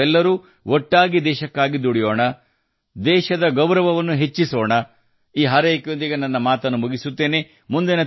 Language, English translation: Kannada, Let us all keep working together for the country like this; keep raising the honor of the country…With this wish I conclude my point